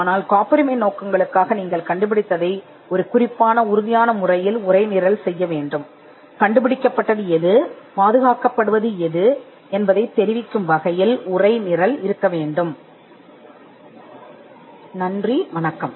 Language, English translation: Tamil, But for the purposes of patenting, you need to textualize the invention in a determined manner in such a way that you can convey what has been invented and what has been protected